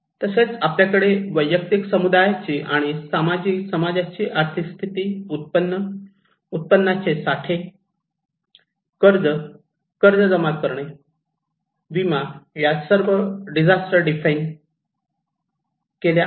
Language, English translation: Marathi, Also, we have economic factors like economic status of individual, community, and society and income, income reserves, debts, access to credits, loan, insurance they all define the disasters